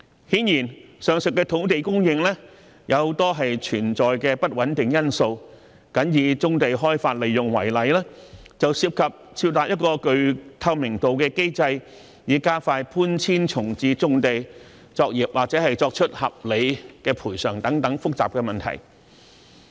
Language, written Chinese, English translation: Cantonese, 顯然，上述的土地供應也存在很多不穩定因素，僅以棕地開發利用為例，便涉及設立一個具透明度的機制，以加快搬遷重置棕地作業或作出合理賠償等複雜問題。, Obviously the above land supply comes with a lot of uncertainties . Simply take the development and utilization of brownfield sites as an example it involves such complicated issues as setting up a transparent mechanism to expedite the relocation and reprovisioning of brownfield operations or making reasonable compensation